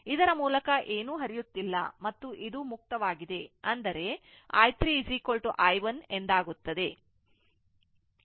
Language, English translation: Kannada, Nothing is flowing through this and and this is open means, i 3 is equal to i 1